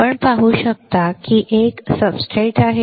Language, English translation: Marathi, You can see there is a substrate